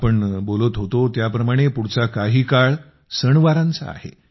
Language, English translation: Marathi, Like we were discussing, the time to come is of festivals